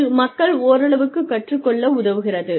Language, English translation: Tamil, And, that helps people learn quite a bit